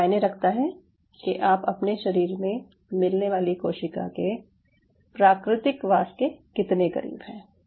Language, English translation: Hindi, it is not just a model, it is how close you are to the natural habitat of the cell which is within your body